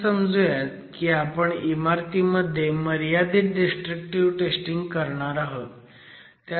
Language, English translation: Marathi, Now let's say we are going to do some limited destructive testing in a structure